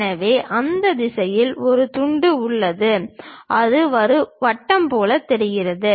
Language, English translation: Tamil, So, we are having a slice in that direction, it looks like circle